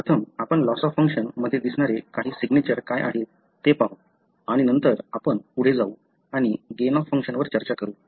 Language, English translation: Marathi, Firstly, let us look into what are the, some of the signature that you see in loss of function mutations and then we move on to go and discuss the gain of function